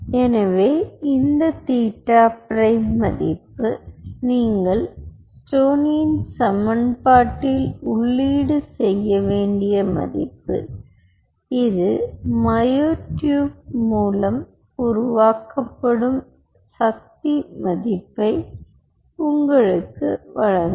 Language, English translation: Tamil, so this theta prime value, which is the value, what you have do plug into the stoneys equation and this will give you the force generated by the myotube